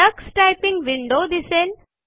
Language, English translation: Marathi, The Tux Typing window appears